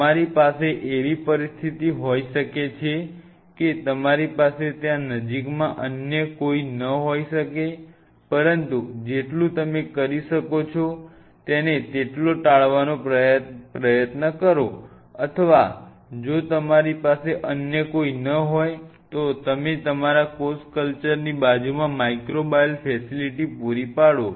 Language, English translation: Gujarati, You may have a situation you have no other go there will be close by, but try to avoid it as much as you can that led they we are distance or if you have no other go that you are a microbial facility adjacent to your cell culture